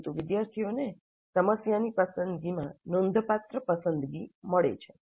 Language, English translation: Gujarati, But students do get considerable choice in the selection of the problem